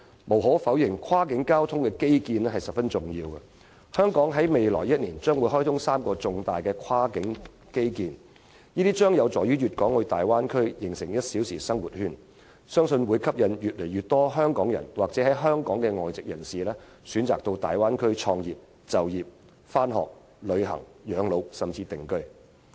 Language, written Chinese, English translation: Cantonese, 無可否認，跨境交通基建十分重要，香港將在未來1年開通3項重大跨境基建，這將有助大灣區形成"一小時生活圈"，我相信可吸引越來越多香港人或香港的外籍人士選擇到大灣區創業、就業、上學、旅行、養老，甚至定居。, Undoubtedly cross - boundary transport infrastructure is very important . In the upcoming year Hong Kong will see the commissioning of three major cross - boundary infrastructure facilities and they will be useful to the formation of a one - hour living circle in the Bay Area . I think they can induce more and more Hong Kong people or foreigners in Hong Kong to start up business work study travel spend their twilight years and even live in the Bay Area